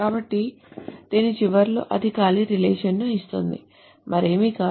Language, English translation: Telugu, So at the end of this, it returns an empty relation